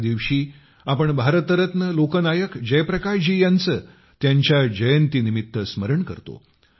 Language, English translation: Marathi, This day, we remember Bharat Ratna Lok Nayak Jayaprakash Narayan ji on his birth anniversary